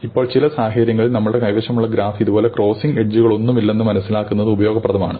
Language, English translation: Malayalam, Now, in some situations it is useful to realize that the graph that we have looks like this; that there are no crossing edges